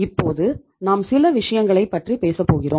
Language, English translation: Tamil, Now we talk about certain things